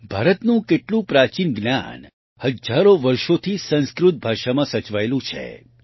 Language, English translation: Gujarati, Much ancient knowledge of India has been preserved in Sanskrit language for thousands of years